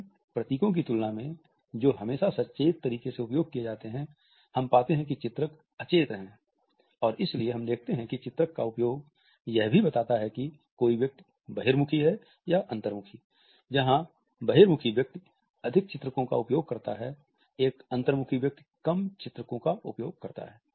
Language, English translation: Hindi, In comparison to emblems which are always used in a conscious manner we find that illustrators are unconscious, and that is why we find that the use of illustrators also tells us whether a person is an extrovert or an introvert